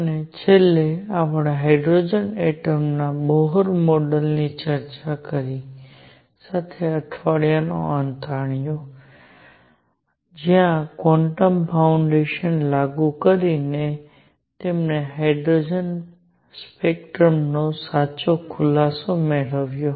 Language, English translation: Gujarati, And finally, we ended the week with the discussion of Bohr model of hydrogen atom, where by applying quantum foundations, he obtained the correct explanation of hydrogen spectrum